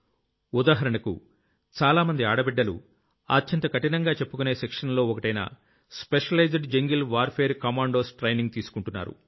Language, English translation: Telugu, For example, many daughters are currently undergoing one of the most difficult trainings, that of Specialized Jungle Warfare Commandos